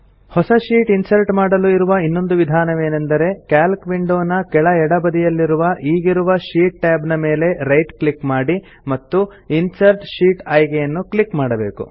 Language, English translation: Kannada, Another method for inserting a new sheet is by right clicking on the current sheet tab at the bottom left of the Calc window and clicking on the Insert Sheet option